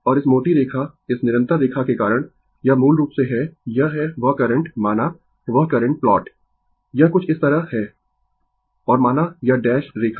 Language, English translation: Hindi, Also, because this thick line this continuous line, it is basically, it is that current ah that current plot say, it is something like this and say this dash line